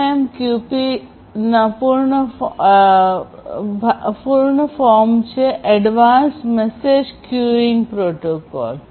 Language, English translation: Gujarati, So, AMQP full form is Advanced Message Queuing Protocol